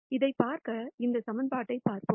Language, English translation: Tamil, To see this, let us look at this equation